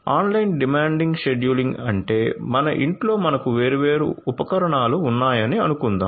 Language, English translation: Telugu, So, online demand scheduling means like let us say at your home you have different different appliances